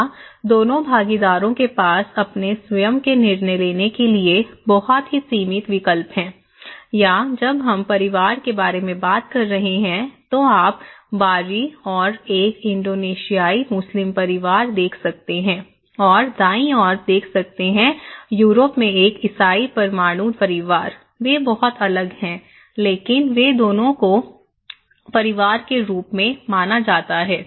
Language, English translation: Hindi, Here, the two partners have very limited choice to make decisions by their own or when we are talking about family, you can look in the left hand side an Indonesian Muslim family, in the right hand side, a Christian nuclear family in Europe so, they are very different but they are both considered as family, okay